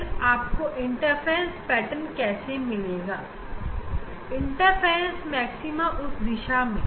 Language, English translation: Hindi, then how you will get the interference pattern, interference maxima in that direction